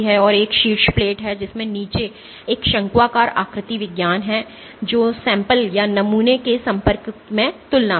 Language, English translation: Hindi, And there is a top plate which has a conical morphology at the bottom which is in compare in contact with the sample